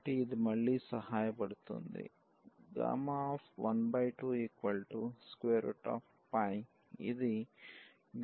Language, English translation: Telugu, So, this will be again helpful